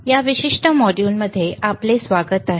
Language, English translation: Marathi, All right, welcome to this particular module